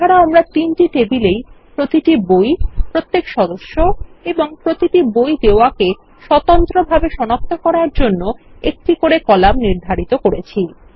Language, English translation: Bengali, Now we also set up columns to uniquely identify each book, each member and each book issue in these three tables